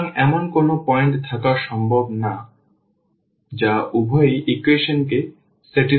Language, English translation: Bengali, So, this is not possible to have a point which satisfy both the equations